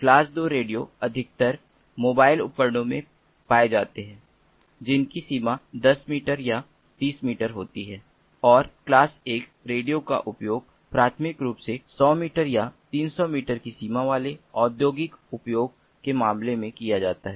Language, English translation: Hindi, class two radios are most commonly found in mobile devices having a range of ten meters or thirty feet, and class one radios are used primarily in industrial use cases having a range of hundred meters or three hundred feet